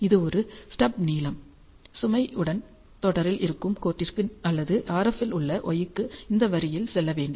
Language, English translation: Tamil, So, this is a stub length, and for the line which is in series with the load or y in RF